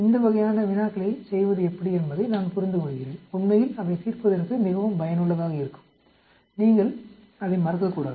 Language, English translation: Tamil, I understand how to go about doing these types of problems they are quite useful actually to address, you do not forget that